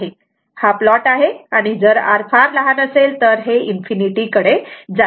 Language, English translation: Marathi, This is the plot and if R if R is very low it tends to infinity right